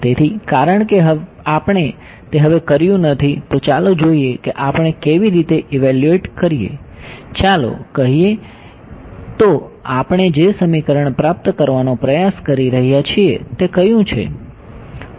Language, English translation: Gujarati, So, for we have not done that so now, let us see how do we evaluate let us say, so which is the equation that we are trying to do